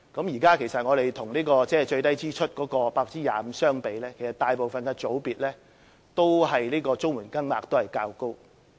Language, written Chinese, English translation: Cantonese, 現在與最低支出的 25% 相比，其實在大部分的組別都是綜援金額較高。, Compared to the lowest 25 % expenditure group CSSA payments are higher in most categories